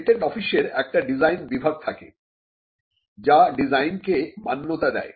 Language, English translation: Bengali, The patent office has a design wing, which grants the design